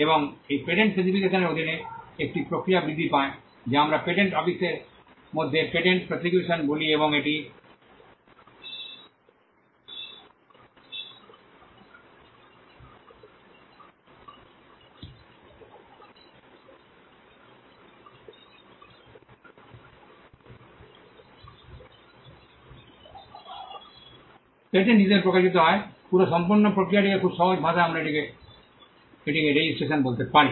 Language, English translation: Bengali, And this patent specification under grows a process what we call patent prosecution within the patent office and it emanates as a patent right this entire process in a very simple language we can call it registration